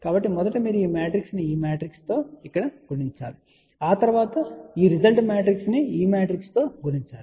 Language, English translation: Telugu, So, first you multiply this matrix with this matrix here and then after that this resultant matrix is to be multiplied by this matrix here